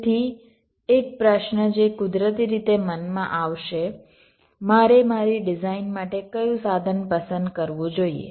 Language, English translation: Gujarati, so one question that naturally would come into mind: which tool should i choose for my design